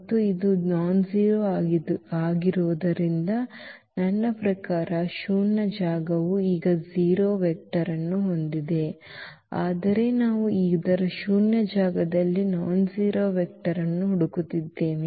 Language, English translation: Kannada, And, since it is a nonzero I mean the null space also has a now has a 0 vector, but we are looking for the nonzero vector in the null space of this